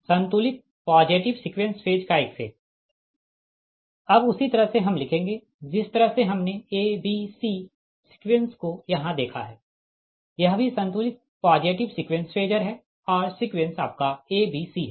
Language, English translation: Hindi, now, same way, we will write the way we have seen: a b, c sequence here also, this is also balanced positive sequence sequence phasor and sequence is your: a b c